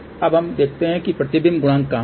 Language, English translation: Hindi, Now, let us see where is reflection coefficient